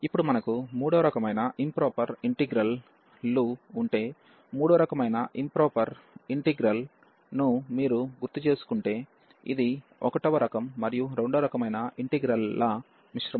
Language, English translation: Telugu, Now, if we have the improper integrals of 3rd kind, so you just to recall what was the improper integral of third kind, it was the mixture of the integral of kind 1 and kind 2